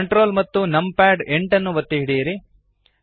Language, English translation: Kannada, Hold Ctrl numpad 8 the view pans downwards